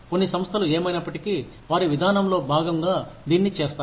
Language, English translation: Telugu, Some organizations, anyway, do it as, part of their policy